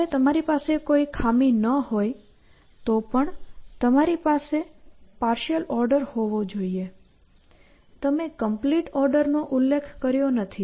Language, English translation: Gujarati, Once you have no flaws, you must still have a partial order; you may not have specified a complete order